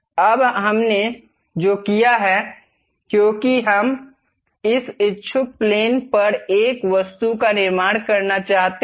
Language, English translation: Hindi, Now, what we have done is, because we would like to construct an object on that inclined plane